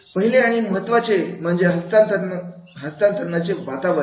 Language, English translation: Marathi, The first and foremost is the climate for transfer